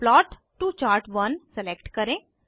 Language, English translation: Hindi, Select Plot to Chart1